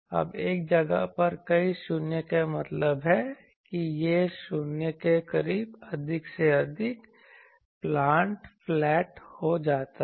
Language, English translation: Hindi, Now, multiple 0 at a place means that it becomes more and more flat near the 0s